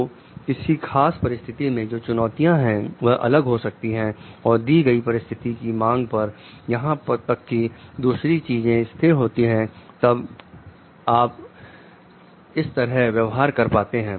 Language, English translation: Hindi, So, the challenges in a particular situation may also become different and may demand given the situation even other things remaining constant this is how you are going to behave